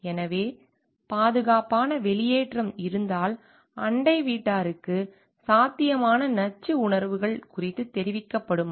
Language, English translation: Tamil, So, if there is an safe exit, so, whether people are neighbors are informed of possible toxic emotions